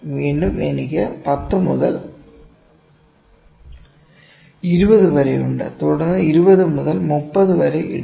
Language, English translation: Malayalam, This is let me say 0 to 10, again I am having from 10 to 20, then put 20 to 30 and so on